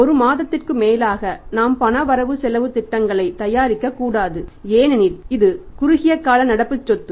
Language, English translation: Tamil, More than a month we should not prepare the cash budgets because it is a short term current asset